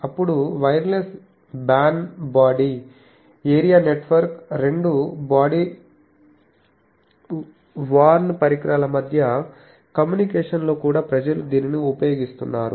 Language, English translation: Telugu, Then wireless BAN body area network communication between two body worn devices they are also people are using it